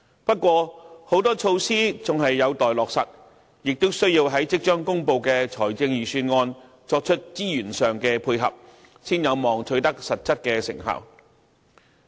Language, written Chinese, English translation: Cantonese, 不過，很多措施仍有待落實，亦需要在即將公布的財政預算案作出資源上的配合，才有望取得實質成效。, BPA welcomes this . However a number of measures have yet to be implemented and resources should be earmarked correspondingly in the Budget to be announced later if any concrete results are to be achieved